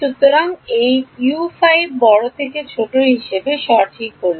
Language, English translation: Bengali, So, was this U 5 correct as smaller to larger